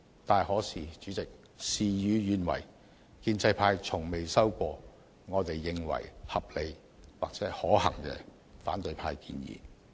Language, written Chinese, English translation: Cantonese, 主席，然而事與願違，建制派從未收到我們認為合理及可行的反對派建議。, President nevertheless things did not turn out as we wished . Pro - establishment Members have not received from opposition Members any proposals which we consider reasonable and feasible